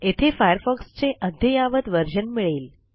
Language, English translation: Marathi, Here, we can always find the latest version of Firefox